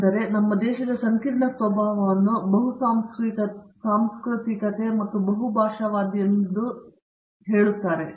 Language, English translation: Kannada, So, they need to, you know the complex nature of our country in terms of it is multiculturalism and multilingualism